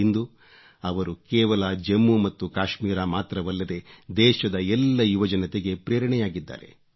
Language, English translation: Kannada, Today, he has become a source of inspiration not only in Jammu & Kashmir but for the youth of the whole country